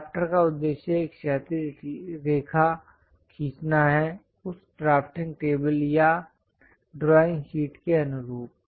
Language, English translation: Hindi, The objective of drafter is to draw a horizontal line, in line with that drafting table or the drawing sheet